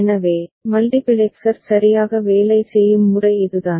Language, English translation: Tamil, So, that is the way multiplexer works right